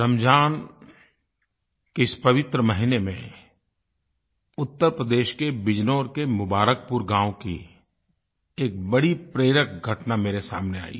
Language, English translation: Hindi, In this holy month of Ramzan, I came across a very inspiring incident at Mubarakpur village of Bijnor in Uttar Pradesh